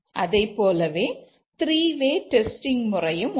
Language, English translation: Tamil, We similarly can have three way testing